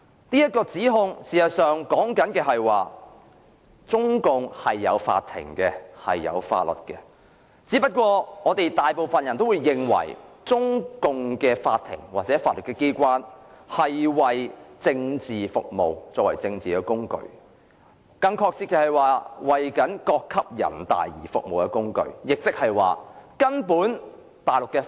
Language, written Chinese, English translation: Cantonese, 這說法其實是指中共是有法院和法律的，只是大部分人皆認為，中共的法院或法律機關是為政治服務，作為政治工具，更準確的說法是為各級人民代表大會服務的工具。, This actually means that the Chinese Communist Party has set up courts and enacted laws only that most people think that the court or judiciary under the Chinese Communist Party merely serves as a political tool for political purposes . To put it more accurately they are a tool serving the Peoples Congress at various levels